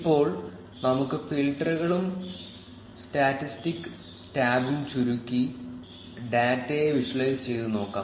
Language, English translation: Malayalam, Now, let us collapse the filters and statistic tab and play around with the visualization of the data a bit